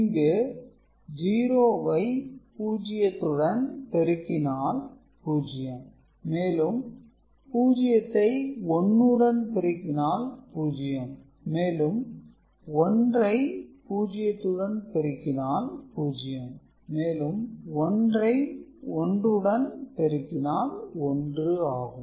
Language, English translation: Tamil, So, the result will be 0 of course, 0 with 1 it will be 0, 1 with 0 it will be 0 and 1 with 1 it will be 1